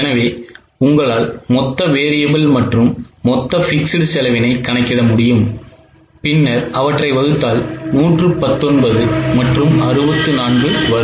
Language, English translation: Tamil, So, you can calculate the total variable and total fixed and then divide it as 119 and 64